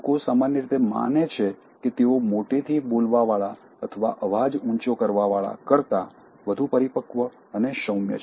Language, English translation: Gujarati, People generally feel that, they are more matured and mellowed than the ones who are loud in speaking, in raising their voice